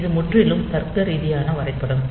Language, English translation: Tamil, So, this is the totally logical diagram